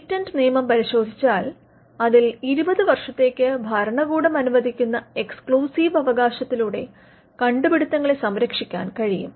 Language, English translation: Malayalam, If we look at patent law, where inventions can be protected by way of an exclusive right that is granted by the state for a period of 20 years